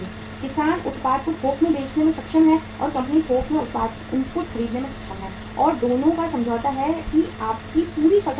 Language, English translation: Hindi, Farmer is able to sell the product in bulk and the company is able to buy the product input in bulk and both have the agreement that your entire crop is ours